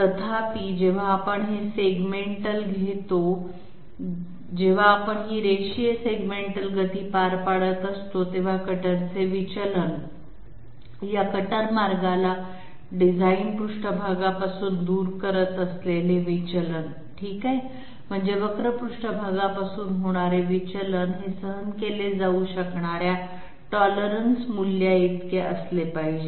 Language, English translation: Marathi, However, when we are taking this segmental when we are carrying out this linear segmental motion, the deviation that that the cutter the deviation this cutter path suffers from the design surface okay the curve surface that has to be equated to a particular value which can be tolerated